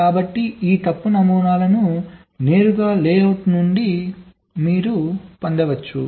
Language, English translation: Telugu, so this fault models can be derived directly from the layout